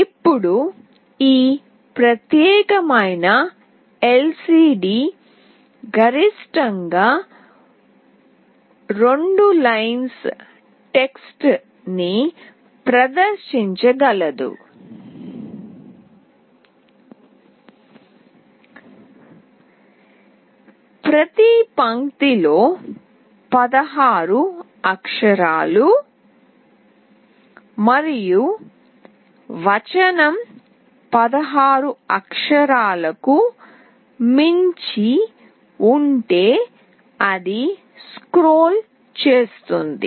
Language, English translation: Telugu, Now this particular LCD can display 2 lines of text, maximum of 16 characters in each line, and if the text goes beyond 16 characters it scrolls